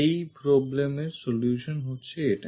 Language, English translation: Bengali, The solution for this problem is this one